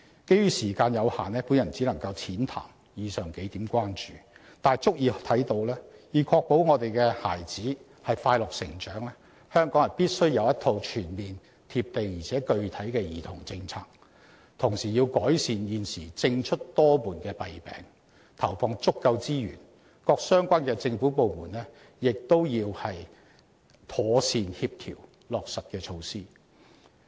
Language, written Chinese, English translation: Cantonese, 基於時間限制，我只能淺談上述數點關注，但已足以看到，要確保我們的孩子快樂成長，香港必須有一套全面、"貼地"且具體的兒童政策，同時要改善現時政出多門的弊病，投放足夠資源，而各相關政府部門亦要妥善協調落實的措施。, Owing to the time limit I can only briefly discuss the aforementioned few points but it should have adequately illustrated to us that to ensure that our children can grow up happily Hong Kong must put in place a comprehensive practical and specific children policy and at the same time rectify the defect of responsibility fragmentation and allocate sufficient resources while various government departments also have to properly coordinate the implementation of measures